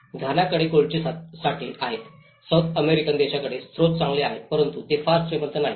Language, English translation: Marathi, Ghana have the gold reserves the South American countries have good resource but they are not very rich